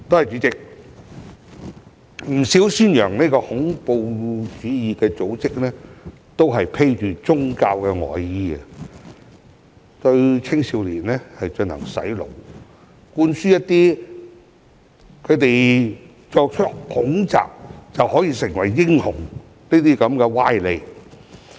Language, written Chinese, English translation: Cantonese, 主席，不少宣揚恐怖主義的組織都是披着"宗教外衣"，對青少年進行"洗腦"，向他們灌輸作出恐襲後便可以成為英雄的歪理。, President quite a number of organizations promoting terrorism wear a religious disguise and brainwash young people by instilling in them fallacious ideas that they can become heroes after terrorist attacks